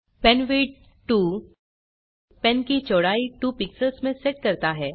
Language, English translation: Hindi, penwidth 2 sets the width of pen to 2 pixels